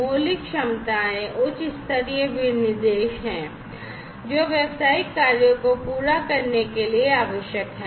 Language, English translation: Hindi, Fundamental capabilities are high level specifications, which are essential to complete business tasks